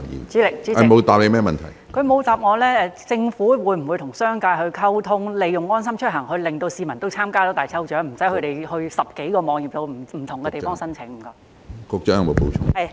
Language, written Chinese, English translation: Cantonese, 主席，她沒有回答我，政府會否與商界溝通，令市民能夠利用"安心出行"參加大抽獎，而無需分別到10多個網頁及不同地方申請？, President she has not answered me . Will the Government liaise with the business sector to enable the people to enrol in the lucky draws using LeaveHomeSafe so as to save them the trouble of having to visit over 10 websites and enrol through different pathways?